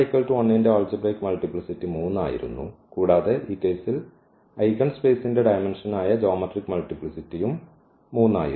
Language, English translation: Malayalam, So, the algebraic multiplicity of lambda 1 was 3 and also the geometric multiplicity which is the dimension of the eigenspace that is also 3 in this case